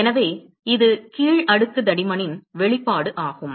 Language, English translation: Tamil, So, that is the expression for the down layer thickness